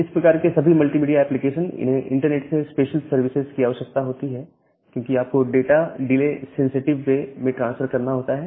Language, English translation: Hindi, And all this type of multimedia applications, they require special services from the internet, because you need to transfer the data in a delay sensitive way